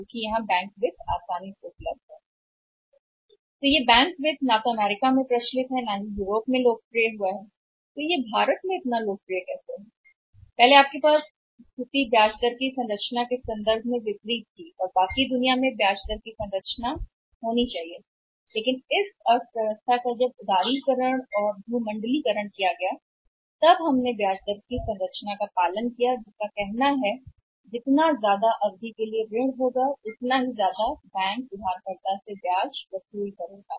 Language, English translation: Hindi, So, if it is not popular in USA if it is not popular bank finance is not popular in Europe then how it can be popular in India earlier you had a situation reverse of the term structure of interest rate and the rest of the world be had the term structure of interest rate but when we say this economy was liberalised opened up when we globalise, this economy was globalised then have to follow the term structure of interest rate which says that the longer the period of the same borrowing higher will be the interest rate to be charged from the borrower by the banks